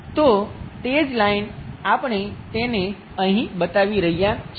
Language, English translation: Gujarati, So, the same line, we are showing it here